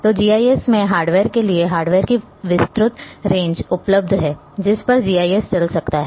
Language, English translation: Hindi, So, GIS say for the hardware wide range of hardware is available on which GIS can run